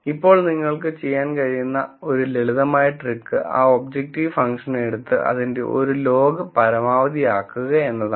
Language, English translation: Malayalam, Now, one simple trick you can do is take that objective function and take a log of that and then maximize it